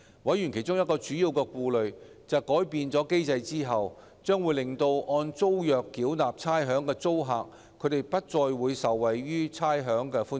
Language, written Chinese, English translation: Cantonese, 委員其中一個主要顧慮，是改變機制將令按租約繳納差餉的租客不再受惠於差餉寬減。, One of the main concerns of Panel members was that after modification tenants who paid rates under the tenancy agreements would no longer be able to benefit from rates concession